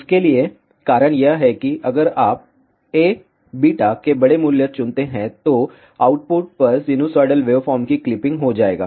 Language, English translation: Hindi, The reason for that is that if you choose larger value of A beta, then there will be clipping of the sinusoidal waveform at the output